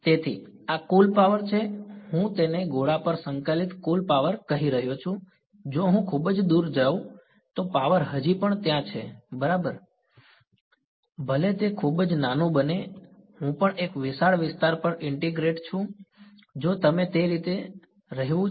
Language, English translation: Gujarati, So, this is total power I am calling it total power integrated over sphere if I go very, very far away the power is still there it's going as 1 by r square right even though it becomes very very small, I am also integrating over a large area if you want being over that way right